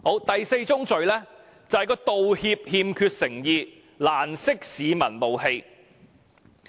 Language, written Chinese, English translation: Cantonese, 第四宗罪是道歉欠缺誠意，難釋市民怒氣。, The fourth fallacy is the insincere apology which fails to settle public grievances